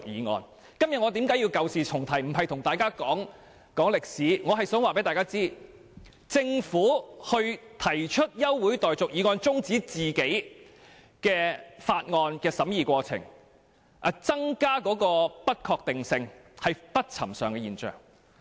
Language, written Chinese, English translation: Cantonese, 我今天舊事重提，並非要細說歷史，只是想告訴各位，由政府提出休會待續議案中止政府法案的審議過程，以致不確定性增加，實屬不尋常的現象。, By bringing up this old case I do not mean to elaborate on history . I just want to say that it is unusual for the Government to move an adjournment motion on its bill as this will increase uncertainty